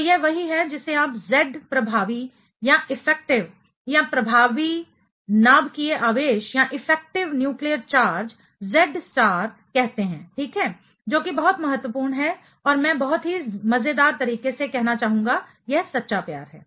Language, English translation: Hindi, So, this is what is called you know Z effective or the effective nuclear charge Z star ok, that is something very important and I would like to call very simply just funnily, it is a true love right